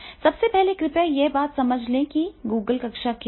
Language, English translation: Hindi, First, please understand what is Google classroom